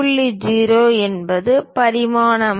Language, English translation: Tamil, 0 is that dimension value